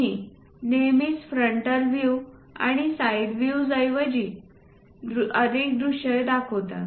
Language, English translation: Marathi, We always show its different views like frontal view and side views